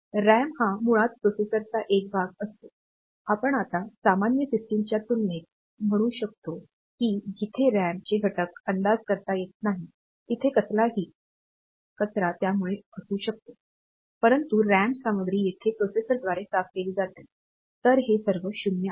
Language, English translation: Marathi, So, that will ensure that the scratch pad is clear; so RAM is basically a part of the processor now we can say compared to the general system, where the over the content of the RAM is not predictable; it can contain any garbage, but here the RAM contents are cleared by the processor; so, it is all 0